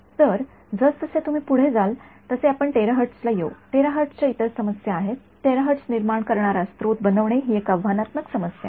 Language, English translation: Marathi, So, as you go to well will come to terahertz, terahertz has other problems it is to make a source that can generate terahertz is itself a challenging problem